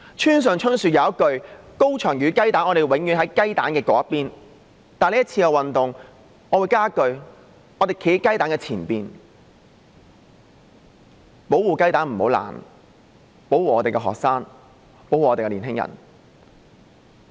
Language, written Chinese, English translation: Cantonese, 村上春樹有一句說話是這樣的："高牆與雞蛋，我們永遠站在雞蛋那邊"；但對於這次的運動，我會多加一句：我們站在雞蛋前邊，保護雞蛋不要破，保護我們的學生，保護我們的年青人。, Haruki MURAKAMI once made a statement to the effect that between the high wall and the eggs we will forever stand on the side of the eggs . But as regards this movement I would add one statement We will stand in front of the eggs to protect the eggs from breaking to protect our students and protect our young people